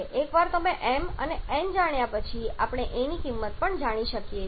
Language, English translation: Gujarati, Once you know m and n we also know the value of a